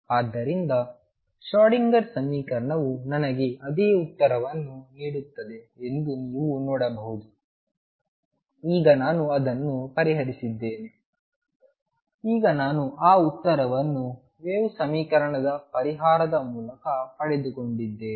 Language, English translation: Kannada, So, you see Schrödinger equation gives me the same answer except, now that I have solved it now I have obtained that answer through the solution of a wave equation